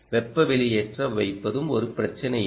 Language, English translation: Tamil, putting a heat sink is also not an issue, right